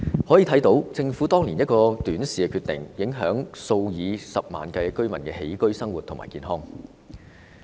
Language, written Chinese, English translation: Cantonese, 由此可見，政府當年一個短視的決定，影響了數以十萬計居民的起居生活和健康。, From this we can see that a short - sighted decision made by the Government years back has taken toll on the daily life and health of hundreds of thousands of tenants